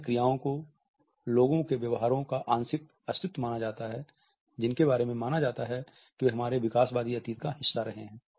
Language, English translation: Hindi, Others are thought to be partial survival of other behaviors, which are believed to have been a part of our evolutionary past